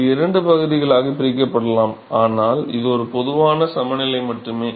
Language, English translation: Tamil, It could be split into two parts, but this is just a generic balance